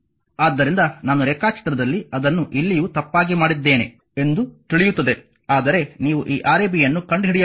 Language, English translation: Kannada, So, in the diagram this you will know by mistake I have made it here also, but for you have to find out this Rab